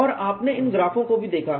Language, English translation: Hindi, And you also looked at these graphs